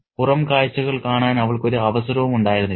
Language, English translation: Malayalam, She hardly had any chance to have a glimpse of the outside